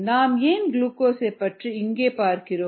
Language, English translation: Tamil, why are we looking at glucose